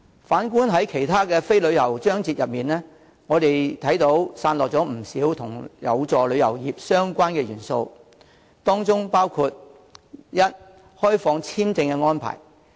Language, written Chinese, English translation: Cantonese, 反觀在其他非關旅遊業的章節中，散落了不少有助旅遊業發展的相關元素，當中包括：第一，開放簽證安排。, On the contrary in other parts and paragraphs of the Policy Address which have nothing to do with tourism we can find quite a number of initiatives which are conducive to the development of the tourism industry and these include Firstly the relaxation of visa requirements